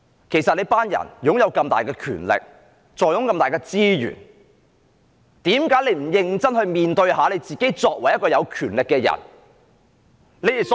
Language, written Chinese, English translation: Cantonese, 其實，這些人擁有這麼大的權力，坐擁這麼多的資源，為何不認真面對自己作為有權力的人應有的責任？, In fact these people hold such enormous powers and such a lot of resources . Why do they not seriously face the responsibilities required of them as people with powers?